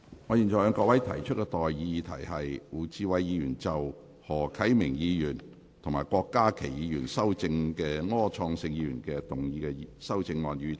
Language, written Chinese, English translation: Cantonese, 我現在向各位提出的待議議題是：胡志偉議員就經何啟明議員及郭家麒議員修正的柯創盛議員議案動議的修正案，予以通過。, I now propose the question to you and that is That the amendment moved by Mr WU Chi - wai to Mr Wilson ORs motion as amended by Mr HO Kai - ming and Dr KWOK Ka - ki be passed